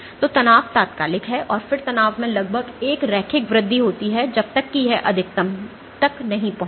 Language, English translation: Hindi, So, strain is instantaneous and then there is an approximate linear increase in the strain till it reaches a maximum